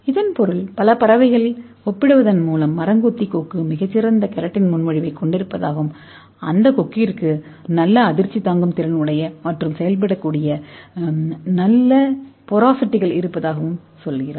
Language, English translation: Tamil, That means this when you compared with several birds they are telling that this woodpecker beak has very good keratin proposition as well as the beak has very good porosities, so that act like a very good shock observer